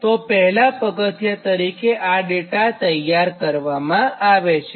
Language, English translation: Gujarati, so this is the first step that all the data you have to prepare